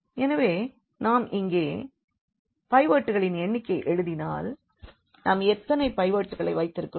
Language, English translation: Tamil, So, if we have like written here the number of pivots, so, here how many pivots we have